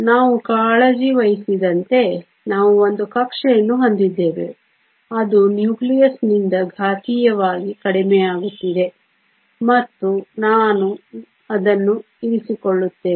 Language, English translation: Kannada, As far as we are concerned we have an orbital that is exponentially decreasing away from the nucleus and we will keep it that